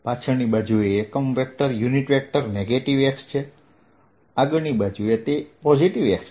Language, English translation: Gujarati, the unit vector on the backside is negative x, on the front side its positive x